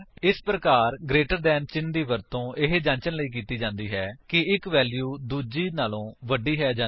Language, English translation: Punjabi, This way, the greater than symbol is used to check if one value is greater than the other